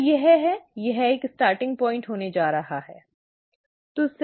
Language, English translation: Hindi, So, this is, this is going to be a starting point, right